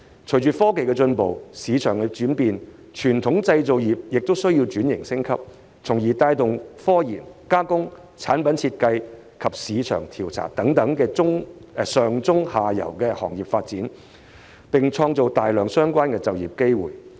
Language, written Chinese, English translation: Cantonese, 隨着科技進步及市場轉變，傳統製造業亦需轉型升級，從而帶動科研、加工、產品設計及市場調查等上、中、下游的行業發展，並創造大量相關的就業機會。, Technological advancement and market changes have made it necessary for the traditional industries to restructure and upgrade thereby fostering the development of upstream midstream and downstream industries such as scientific research processing product design and market research and creating a large number of related job opportunities